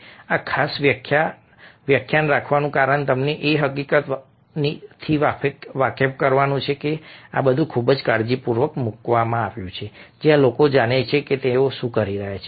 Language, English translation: Gujarati, the reason for having this particular lecture is to make you aware of the fact that these are all placed very, very carefully, people who know what they are doing